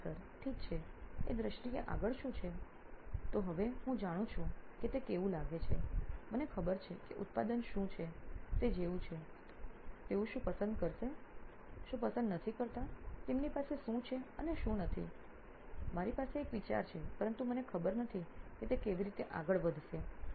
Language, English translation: Gujarati, Okay, what is next in terms of, so now I know how it looks like I know what sort of have a pulse on what the product is like what they like, what they do not like, what they have and what they do not have, I sort of have an idea but I do not know how it will go forward